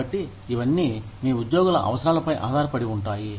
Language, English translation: Telugu, So, it all depends on, what your employees